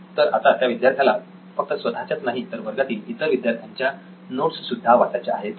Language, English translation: Marathi, Now he has to go through not his notes alone, but all his classmates’ notes as well